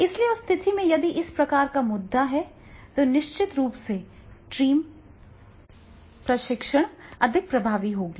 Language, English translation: Hindi, So, therefore in that case, if this type of the issues are there, then definitely the team training that will be more and more effective will be there